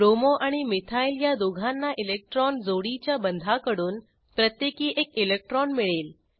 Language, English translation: Marathi, Both Bromo and methyl will get one electron each from the bonded pair of electrons